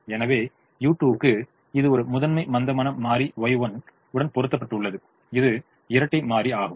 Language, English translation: Tamil, so also u one, which is a primal slack, is mapped to y one, which is the dual variable